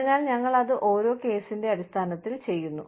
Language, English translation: Malayalam, So, we do it, on a case by case basis